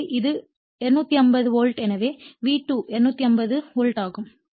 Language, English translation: Tamil, So, it is 250 volts right so, V2 is thE250 volt